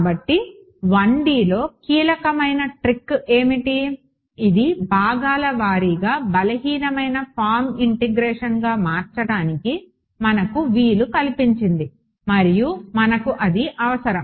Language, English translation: Telugu, So, what was the key trick in 1D that allowed us to convert this to weak form integration by parts and we needed that because